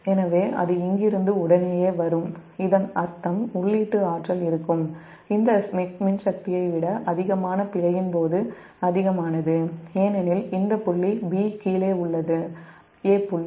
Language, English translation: Tamil, so as soon as it is coming from here, so that we mechanical input power will be greater than during fault, greater than this electrical power, because this point b is below point a